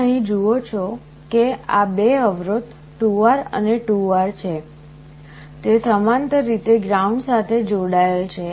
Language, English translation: Gujarati, You see here these two resistances 2R and 2R, they are connected in parallel to ground